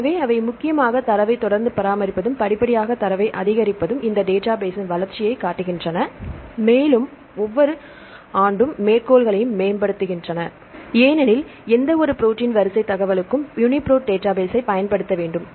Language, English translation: Tamil, So, they have main gradually maintained the data continuously maintaining the data and the gradually increasing the data they show the growth of this database and if you see the citations will get the citations also improving every year because for any protein sequence information one has to use this UniProt database